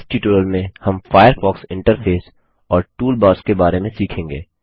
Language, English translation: Hindi, In this tutorial, we learnt aboutThe Firefox interface The toolbars Try this comprehensive assignment.